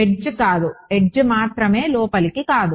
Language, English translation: Telugu, No on the edge only on the edge not the inside